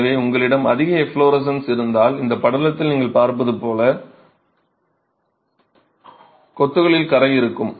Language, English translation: Tamil, So, if you have heavy efflorescence, you will have staining in masonry as you see in this picture